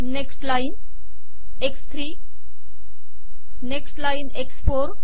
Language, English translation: Marathi, Next line x3, next line x4